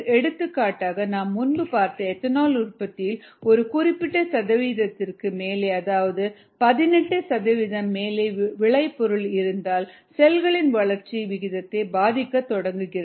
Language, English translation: Tamil, for example, i think we did mentioned ethanol beyond a certain percentage, some eighteen percent of so it's starts effecting the growth rate of cells